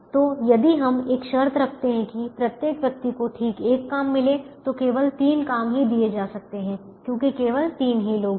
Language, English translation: Hindi, so if we put a condition that each person gets exactly one job, only three jobs can be assigned because only three people are there